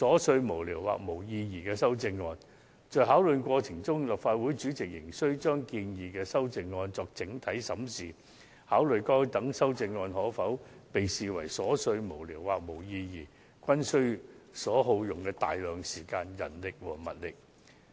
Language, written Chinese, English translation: Cantonese, 在作出裁決的過程中，立法會主席仍需對建議的修正案作整體審視，考慮該等修正案是否屬瑣屑無聊或無意義，更須耗費大量時間、人力及物力。, In making the ruling the President of the Legislative Council still had to conduct an overall examination of the proposed amendments to consider if those amendments were frivolous or meaningless . This had indeed cost this Council a great deal of time manpower and resources